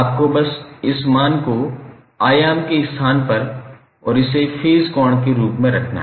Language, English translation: Hindi, You have to just simply put this value in place of amplitude and this as a phase angle